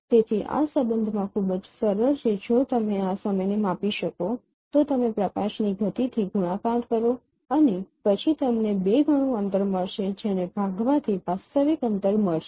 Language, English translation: Gujarati, If you can measure this time then you multiply with speed of light and then you get the twice of the distance